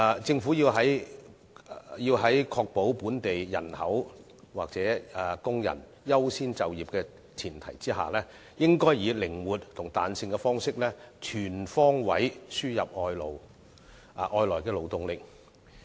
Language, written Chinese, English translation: Cantonese, 政府在確保本地人口或工人優先就業的前提下，應採取靈活及彈性方式，全方位輸入外來勞動力。, On the premise of ensuring priority employment of local people or workers the Government should import foreign labour on all fronts in a flexible manner